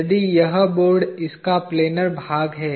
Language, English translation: Hindi, If this board is, the planar side of it